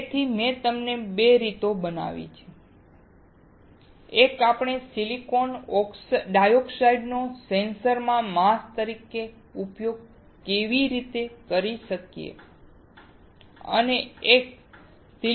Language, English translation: Gujarati, So, I have shown you 2 ways; one, we can use the silicon dioxide as a mask in sensor